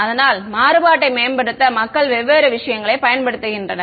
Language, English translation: Tamil, So, people use different things for enhancing the contrast